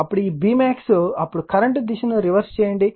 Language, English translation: Telugu, Then this your B max, then you are reversing the direction of the current